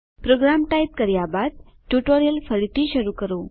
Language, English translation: Gujarati, Resume the tutorial after typing the program